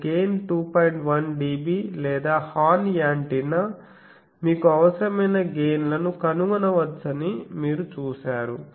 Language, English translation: Telugu, 1 dB or horn antenna you have seen that any required gain can be found